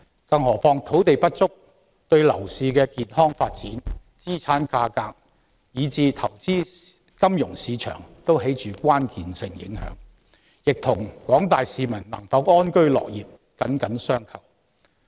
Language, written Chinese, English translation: Cantonese, 更何況，土地不足對樓市的健康發展、資產價格以至投資金融市場均有關鍵性影響，亦與廣大市民能否安居樂業緊緊相扣。, Moreover land shortage has a crucial bearing on the healthy development of the property market asset prices and investment in the financial market and is closely linked to whether the general public can live in pence and work with contentment